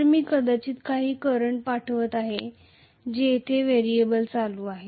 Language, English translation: Marathi, So, I am probably sending some current which is the variable current here